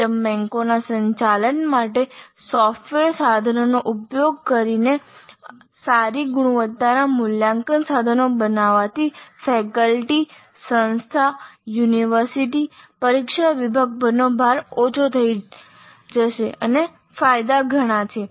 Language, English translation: Gujarati, Use of software tools for management of item banks and generating good quality assessment instruments will reduce the load on the faculty, on the institute, on the university, on the exam sections